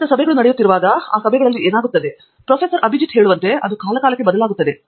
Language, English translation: Kannada, When regular meetings happen and what happens in those meetings who pushes where, like Abhijith says, it changes from time to time